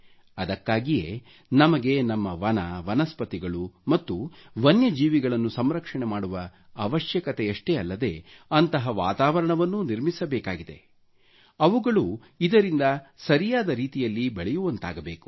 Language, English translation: Kannada, Therefore, we need to not only conserve our forests, flora and fauna, but also create an environment wherein they can flourish properly